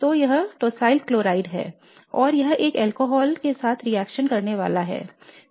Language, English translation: Hindi, So this is the Tosyl chloride and it is supposed to react with an alcohol